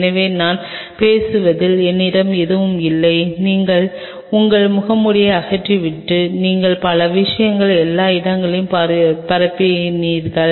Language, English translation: Tamil, So, I have nothing any as I have talking you just remove your mask and you spread several things all over the place